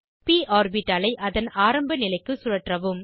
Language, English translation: Tamil, Rotate the p orbital to original position